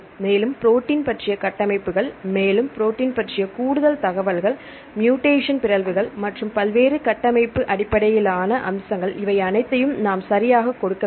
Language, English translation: Tamil, And again we can give more information regarding the structures about the protein or more detail about the proteins as well as the mutations and various structure based features all these things we need to give right